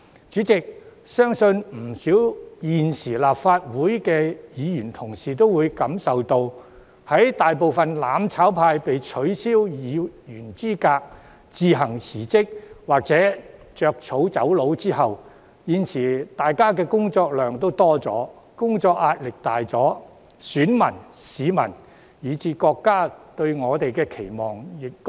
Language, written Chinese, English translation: Cantonese, 主席，我相信不少在任的立法會議員均感受到，在大部分"攬炒派"議員被取消議員資格、自行辭職或"着草走路"後，大家的工作量有所增加，工作壓力加重，選民、市民以至國家對我們的期望更高。, President I believe many incumbent Members of the Legislative Council can invariably feel that after a majority of those Members advocating mutual destruction were disqualified from office resigned or fled from Hong Kong their workload and work pressure have both increased as voters members of the public and even the country have heightened their expectation of them